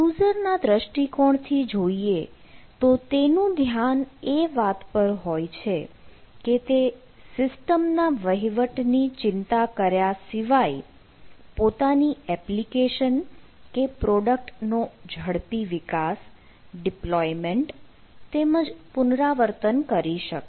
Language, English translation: Gujarati, so, from the user point of view, they are focus on their application or the product: rapid development, deploy, iterate your applications without worrying about the system administration, etcetera